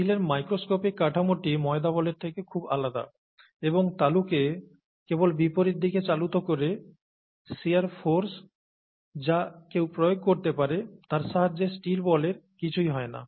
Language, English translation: Bengali, And the microscopic structure of steel is very different from that of the dough ball, and with the shear forces that one is able to exert, just by moving the palms in opposite directions, nothing happens to the steel ball